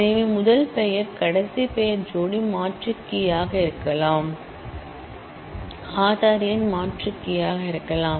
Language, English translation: Tamil, So, first name last name pair could be an alternate key Aaadhaar number could be an alternate key and so on